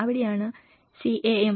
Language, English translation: Malayalam, That is where the CAM and CBDRM